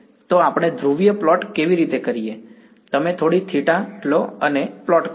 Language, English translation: Gujarati, So, how do we do a polar plot, you take some theta right and plot